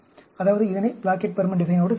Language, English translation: Tamil, That is, this is to do with Plackett Burman design